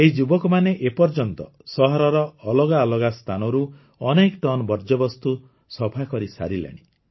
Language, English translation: Odia, These people have so far cleared tons of garbage from different areas of the city